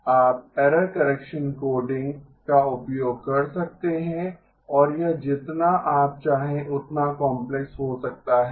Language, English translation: Hindi, You may use error correction coding and it can be as complex as you want